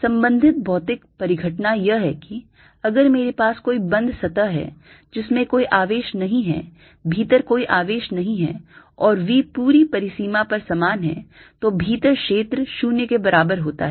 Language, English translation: Hindi, related physical phenomena is that if i have a close surface with no charge, no charge inside and v same throughout the boundary, then field inside is equal to zero